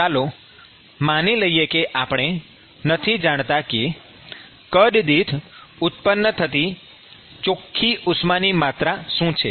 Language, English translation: Gujarati, Supposing we do not know what is the net amount of heat that is generated per unit volume, what should we do